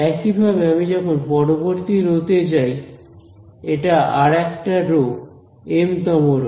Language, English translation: Bengali, So, similarly when I go to the next row this is yet another the mth row